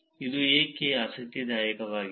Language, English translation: Kannada, Why is this interesting